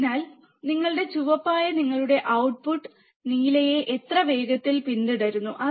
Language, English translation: Malayalam, So, how fast your output that is your red follows your blue